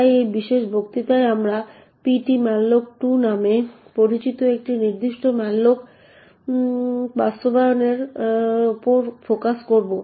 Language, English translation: Bengali, In this lecture on the other hand we will be only focusing on the internals of ptmalloc2